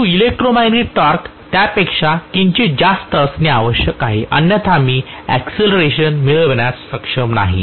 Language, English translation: Marathi, But the electromagnetic torque has to be slightly higher than that otherwise I am not going to be able to get an acceleration